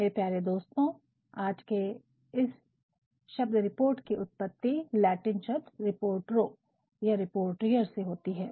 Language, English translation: Hindi, The word report of today has it is origin in the Latin word "Reporto or Reportier"